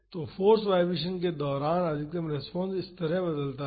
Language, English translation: Hindi, So, during the force vibration the maximum response varies like this